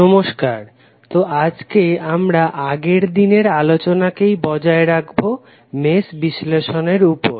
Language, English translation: Bengali, So, today we will continue our yesterday’s discussion on Mesh Analysis